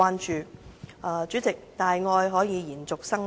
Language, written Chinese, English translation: Cantonese, 代理主席，大愛可以延續生命。, Deputy President love can prolong life